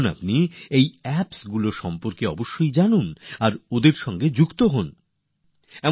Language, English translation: Bengali, Do familiarise yourselves with these Apps and connect with them